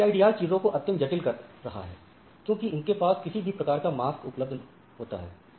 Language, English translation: Hindi, Now, CIDR complicates this right because now it has any type of mask right